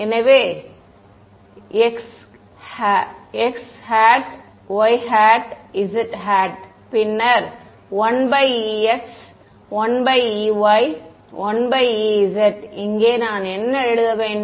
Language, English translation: Tamil, So, 1 by e x, 1 by e y, 1 by e z and then here, what do I write